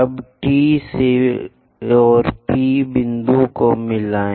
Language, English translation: Hindi, Now join T and P points